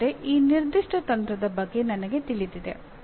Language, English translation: Kannada, That means I am aware of this particular strategy